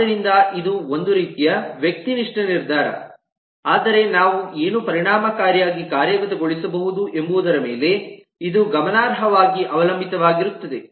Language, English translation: Kannada, so this is a kind of a subjective decision, but it will depend significantly on what can we efficiently implement